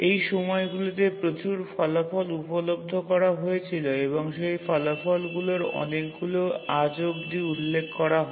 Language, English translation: Bengali, Lot of results became available during those days and many of those results are even referred till now